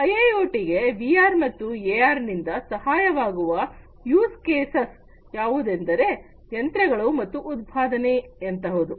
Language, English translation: Kannada, The different use cases that are served by AR and VR for IIoT are things like machining and production